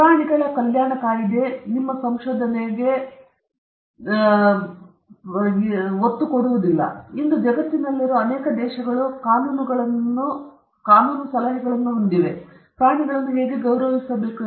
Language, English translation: Kannada, So, those things are articulated in the animal welfare act, and many countries in the world today have laws or legal suggestion, how animals have to be respected